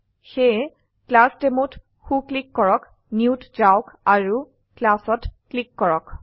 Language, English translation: Assamese, So right click on ClassDemo, go to New and click on Class